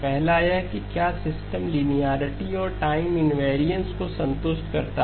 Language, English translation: Hindi, The first one is whether the system satisfies linearity and time invariance